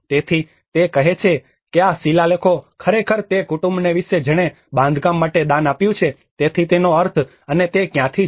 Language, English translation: Gujarati, So, it says, these inscriptions are telling actually about who is the family who have donated to the construction the pillar, so which means and from where they belong to